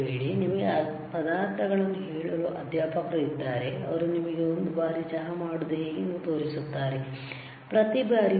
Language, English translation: Kannada, Instructor is there to tell you the ingredients, he will show you how to make tea for one time, not every time right